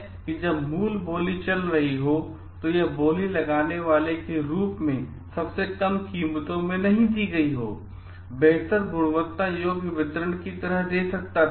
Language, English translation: Hindi, Maybe in the original when the original bidding was going on and who may not have given as much as lowest prices as this bidder, may could have given the better like deliverable the quality